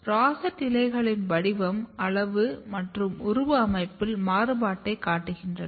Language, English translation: Tamil, Rosette leaves even you can see a variation in the shape size and morphology of the rosette leaf